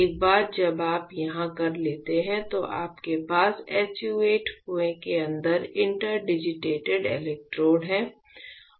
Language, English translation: Hindi, Once you do that what you have is that you have your interdigitated electrodes inside the SU 8 well